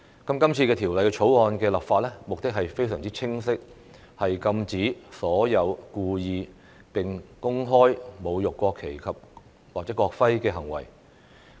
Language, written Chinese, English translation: Cantonese, 今次《條例草案》的立法目的非常清晰，是禁止所有故意並公開侮辱國旗或國徽的行為。, The legislative intent of the Bill is clear which is to prohibit any acts that intentionally and publicly desecrate the national flag or national emblem